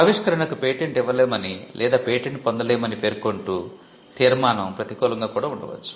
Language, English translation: Telugu, The conclusion could be a negative one stating that the invention cannot be patented or may not be patentable